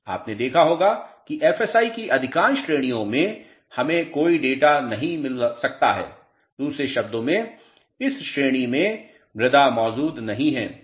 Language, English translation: Hindi, You must have noticed that in most ranges of the FSIs we could not get any data, in other words the soils in this range do not exist